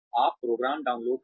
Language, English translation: Hindi, You download the program